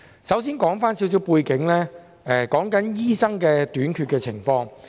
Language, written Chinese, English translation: Cantonese, 首先，我要指出少許背景，是有關醫生短缺的情況。, First of all I have to highlight some background on the shortfall of doctors